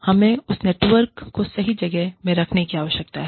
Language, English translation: Hindi, We need to have, that network in place